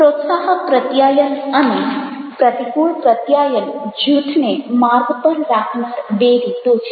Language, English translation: Gujarati, promotive communication and counteractive communication are ways to keep groups and task